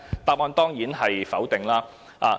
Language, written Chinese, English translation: Cantonese, 答案當然是否定的。, The answer is definitely in the negative